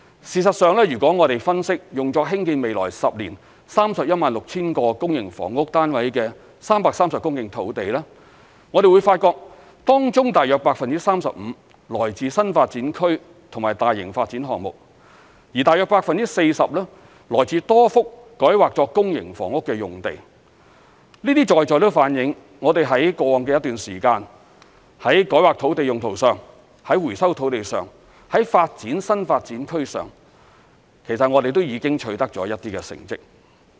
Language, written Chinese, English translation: Cantonese, 事實上，如果我們分析用作興建未來10年 316,000 個公營房屋單位的330公頃土地，會發現當中約 35% 來自新發展區及大型發展項目，約 40% 來自多幅改劃作公營房屋的用地，這些都反映我們在過往的一段時間，在改劃土地用途上、在收回土地上、在發展新發展區上，其實我們已取得一些成績。, In fact if we analyse the 330 hectares of land that will be used to build 316 000 PRH units in the next 10 years we will discover that about 35 % of the land comes from new development areas and large - scale development projects and about 40 % comes from a number of sites rezoned for developing PRH units . All these reflect the achievements that we have made in rezoning the land use land resumption and the development of new development areas in the past period of time